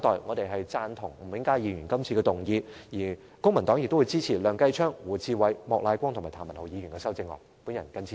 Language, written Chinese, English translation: Cantonese, 公民黨贊同吳永嘉議員的原議案，並且支持梁繼昌議員、胡志偉議員、莫乃光議員及譚文豪議員提出的修正案。, The Civic Party approves of the original motion proposed by Mr Jimmy NG and supports the amendments proposed by Mr Kenneth LEUNG Mr WU Chi - wai Mr Charles Peter MOK and Mr Jeremy TAM